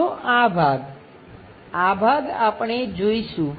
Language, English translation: Gujarati, Second this part, this part we will see